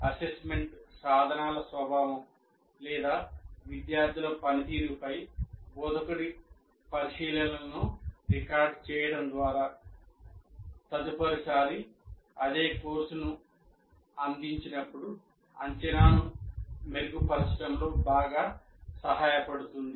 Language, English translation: Telugu, And by recording instructors observations on the nature of assessment instruments are students' performance greatly help in improving the assessment when the same course is offered next time